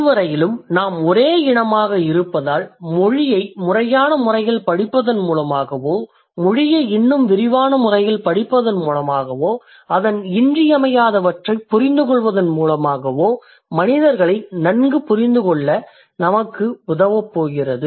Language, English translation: Tamil, So since we are the only species, so by studying language in a systematic manner or by studying language in a more comprehensive manner, by understanding its essentials, it's going to help us to understand human beings better